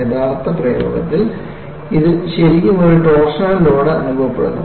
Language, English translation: Malayalam, In actual practice, it is really experiencing a torsional load